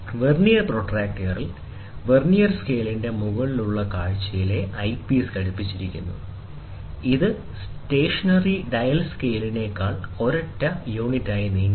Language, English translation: Malayalam, So, in Vernier protractor, the eyepiece is attached on the top view of the Vernier scale itself, which together moves as a single unit over the stationary dial scale